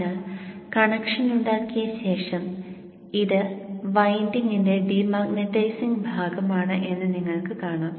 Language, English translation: Malayalam, So after having made the connection you see that this is the de manitizing portion of the winding